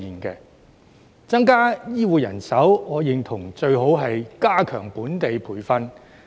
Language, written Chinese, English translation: Cantonese, 要增加醫護人手，我認同最好是加強本地培訓。, To increase healthcare manpower I agree that it would be best to strengthen local training